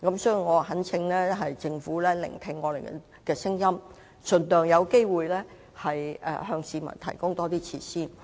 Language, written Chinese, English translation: Cantonese, 所以，我懇請政府聆聽議員的意見，盡量把握機會向市民提供更多設施。, I therefore urge the Government to listen to Members views and seize every opportunity to provide more facilities to the public